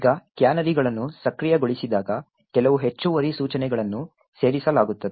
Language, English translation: Kannada, Now when canaries are enabled there are a few extra instructions that gets added